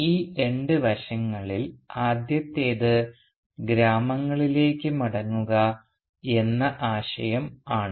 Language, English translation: Malayalam, The first of these two aspects is the notion of a return to the village